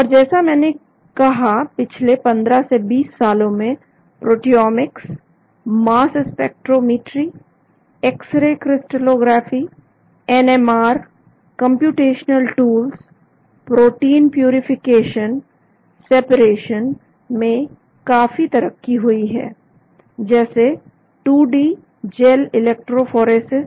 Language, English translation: Hindi, And as I said in the past 15 to 20 years’ lot of development happened in proteomics, mass spectrometry, x ray crystallography, NMR, computational tools, protein purification, separation, just like 2D gel electrophoresis